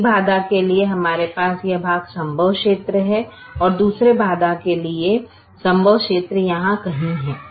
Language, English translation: Hindi, for one constraint we have, this portion has feasible region and for the other constraint the feasible region is somewhere here